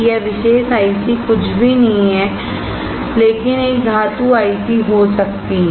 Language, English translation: Hindi, This particular IC is nothing but a metal can IC